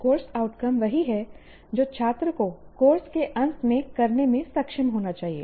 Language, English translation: Hindi, Course outcomes are what the student should be able to do at the end of a course